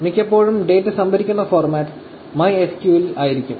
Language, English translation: Malayalam, So, the format that majority of the times, the data is stored, is in MySQL